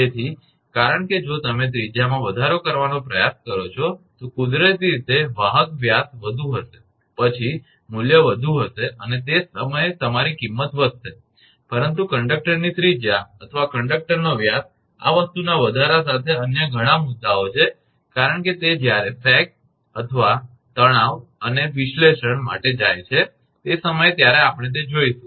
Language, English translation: Gujarati, So, because if you try to increase the radius, naturally the conductor diameter will be more, then value will be more and at the same time your cost will increase, but there are many other issues with the increase of this thing radius of the conductor or diameter of the conductor because when it go for sag and tension and analysis at that time we will see that